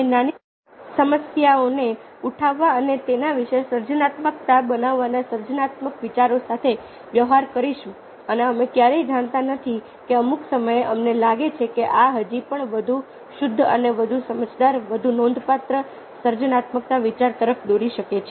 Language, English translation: Gujarati, we will deal with creative thoughts of taking up small problems and being creative about it ah about them, and we never know, at some of point of time we might find that these may lead to still more refined, more ah, more cogent, more significant creative ideas